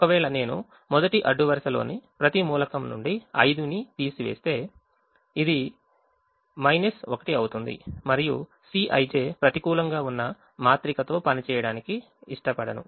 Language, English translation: Telugu, if i subtract five from every element of the first row, then this thing will become minus one, and i don't want to work with the matrix where a, c i, j is negative